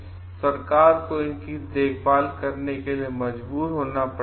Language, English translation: Hindi, And will force the government to take care of it